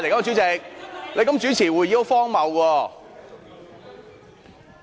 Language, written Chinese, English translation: Cantonese, 主席，你這樣主持會議很荒謬。, President it is ridiculous of you to conduct the meeting in this way